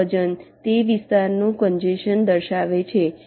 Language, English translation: Gujarati, this weight indicates the congestion of that area